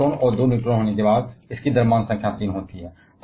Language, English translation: Hindi, Having one proton and 2 neutrons, it is having mass number of 3